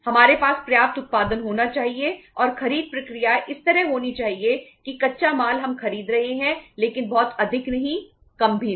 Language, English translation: Hindi, We should have sufficient production and the purchase process should be like that raw material we are buying but not too much, not less